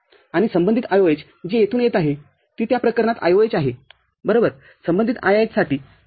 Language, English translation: Marathi, And corresponding IOH which is coming from here that is IOH in that case – right, for corresponding IIH, ok